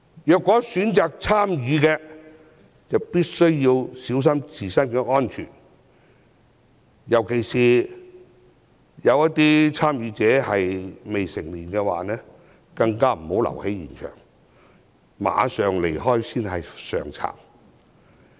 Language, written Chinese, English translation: Cantonese, 如果選擇參與，必須小心自身安全，尤其是未成年的參與者，更不應在現場逗留，立即離開才是上策。, If they chose to stay they should mind their own safety . In particular underage protesters should not stay at the scene and leaving immediately would be the best policy